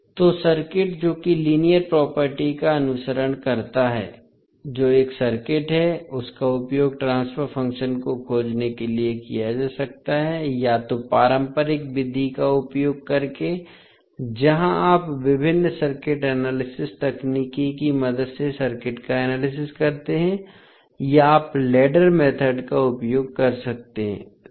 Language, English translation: Hindi, So, the circuit which follows the linearity property that is a circuit can be used to find out the transfer function using a either the conventional method where you analyze the circuit with the help of various circuit analysis technique or you can use the ladder method